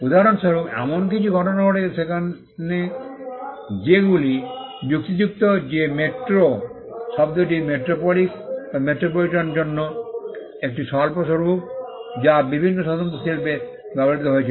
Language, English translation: Bengali, For instance, there has been cases where it has been argued that the word metro which is a short form for metropolis or metropolitan has been used in various distinct industries